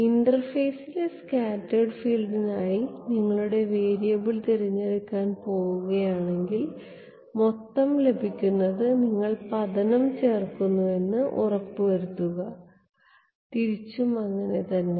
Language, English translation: Malayalam, If you are going to choose your variable as the scattered field on the interface, then make sure that you add incident to get the total and vice versa ok